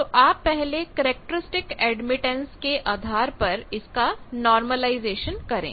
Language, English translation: Hindi, So, you do the normalization with respect to characteristic admittance